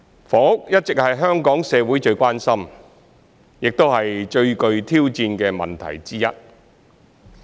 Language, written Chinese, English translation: Cantonese, 房屋一直是香港社會最關心、亦是最具挑戰的問題之一。, Housing has always been one of the most challenging issues of concern in Hong Kong society